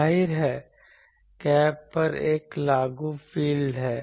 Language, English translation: Hindi, Obviously, there is an applied field at the gap